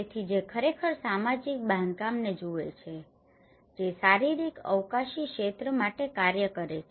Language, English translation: Gujarati, So, which actually looks at the social construct that operates for a physical spatial field